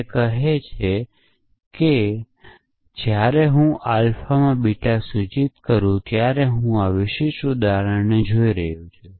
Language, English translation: Gujarati, It says that when I apply theta to alpha implies beta I am looking at this specific example